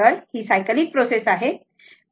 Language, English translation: Marathi, So, it is a cyclic process, right